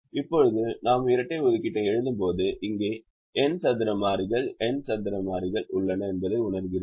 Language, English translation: Tamil, now, when we write the dual, we realize that there are n square variables here, n square variables here